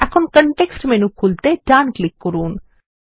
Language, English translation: Bengali, Now right click to open the context menu